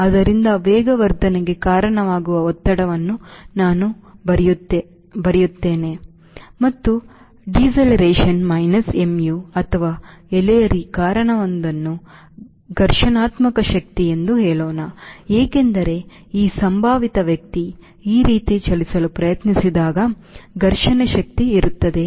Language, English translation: Kannada, so what we should write: thrust, which is causing the acceleration, and drag, which is causing the deceleration, minus mu of or minus, lets say, frictional force, because, as this gentleman tries to move this wave, as a friction force, this is net force, the net force acting on this aircraft which will cause acceleration